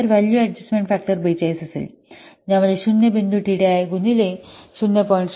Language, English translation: Marathi, So, value adjustment factor will be 42 into how much 0